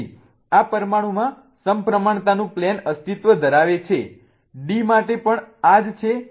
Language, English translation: Gujarati, So, there exists a plane of symmetry in this molecule